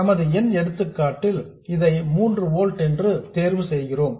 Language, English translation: Tamil, In our numerical example we chose this to be 3 volts